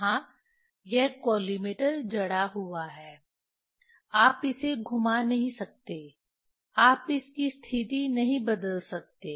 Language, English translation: Hindi, here this collimator is fixed, you cannot rotate, you cannot change the position